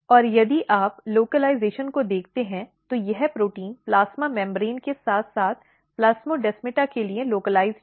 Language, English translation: Hindi, And if you look the localization, this protein is localized to the plasma membrane as well as the plasmodesmata